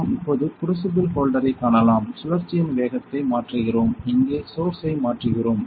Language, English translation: Tamil, We can see the crucible holder now we are changing the speed of the rotation here we are changing the source